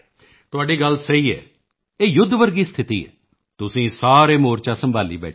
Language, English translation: Punjabi, This is a warlike situation and you all are managing a frontline